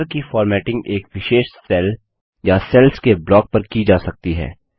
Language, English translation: Hindi, Formatting of borders can be done on a particular cell or a block of cells